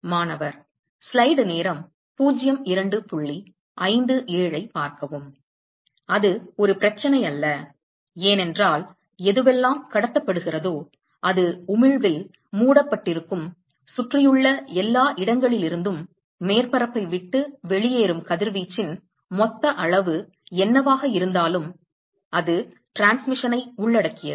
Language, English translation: Tamil, That is not a problem, because whatever is transmitted is covered in emission right whatever total emitted what total amount of radiation that leaves the surface from everywhere around, it includes transmission right